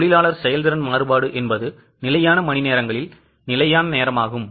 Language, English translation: Tamil, So, labour efficiency variance is standard rate into standard hours minus actual hours